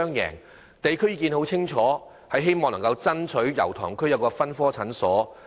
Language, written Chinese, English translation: Cantonese, 油塘區市民表明，希望在區內設立分科診所。, The residents of Yau Tong district have clearly indicated their wish for a polyclinic in the district